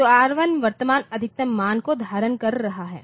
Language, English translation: Hindi, So, R1 was R1 was R1 is holding the current maximum